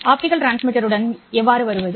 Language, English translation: Tamil, So, how do I come up with an optical transmitter to implement this one